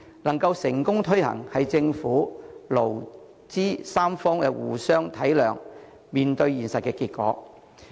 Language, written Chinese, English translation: Cantonese, 能夠成功推行，是政府、勞、資三方互相體諒、面對現實的結果。, The successful implementation was the result of mutual understanding among the Government employers and employees and the tripartite preparedness to address the reality